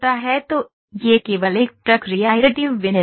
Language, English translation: Hindi, So, this is only one process additive manufacturing